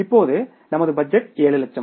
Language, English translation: Tamil, Now my budget is for 7 lakhs